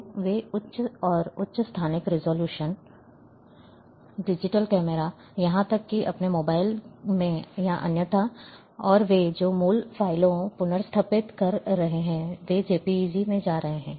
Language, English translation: Hindi, So, they are going for higher and higher spatial resolution, digital cameras, even in their mobiles or otherwise, and the original files they are restoring, on in JPEG